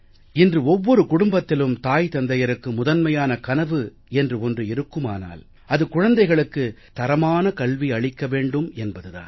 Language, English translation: Tamil, Today in every home, the first thing that the parents dream of is to give their children good education